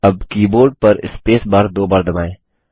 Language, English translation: Hindi, Now press the spacebar on the keyboard twice